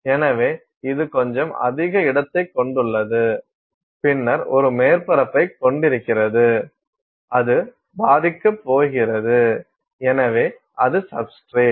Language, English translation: Tamil, So, it is having little higher space and then you have a surface on which it is going to be impacting; so, that is your substrate